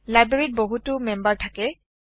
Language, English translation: Assamese, A library has many members